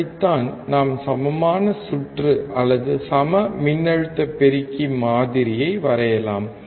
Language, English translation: Tamil, That is how we can draw the equivalent circuit or equal voltage amplifier model